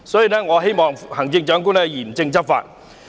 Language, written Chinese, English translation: Cantonese, 因此，我希望行政長官嚴正執法。, In view of this I hope that the Chief Executive will take vigilant enforcement actions